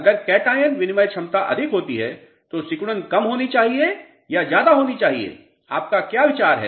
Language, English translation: Hindi, What is your feeling if cation exchange capacity is more shrinkage should be more or less